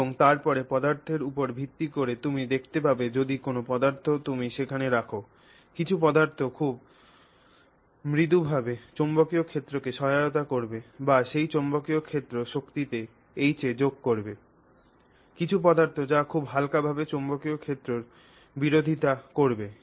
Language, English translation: Bengali, And then based on what material you can see, what material you put there, you will find some materials very gently assisting the magnetic field or adding to that magnetic field strength that you have put, adding to this H